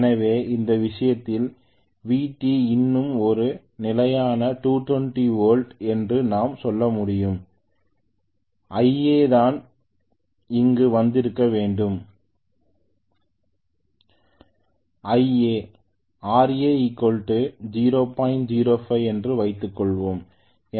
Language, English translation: Tamil, So I can say in this case VT is still a constant 230, IA I must have gotten here let me call that as IA dash, RA is 005